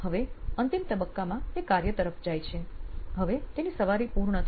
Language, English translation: Gujarati, Then the last phase is she walks to work, now she is all done with her ride